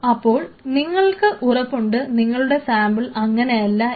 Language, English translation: Malayalam, So, if you are confident that your samples will not be like this